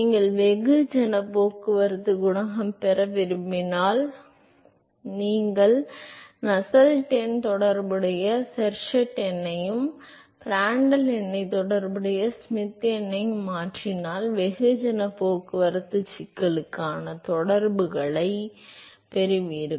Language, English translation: Tamil, If you want to get mass transport coefficient; so, you simply replace the Nusselt number with the corresponding Sherwood number and Prandtl number with the corresponding Schmidt number you get the correlations for the mass transport problem